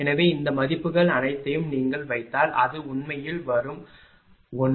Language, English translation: Tamil, So, if you put all these values you will get it will come actually it is 1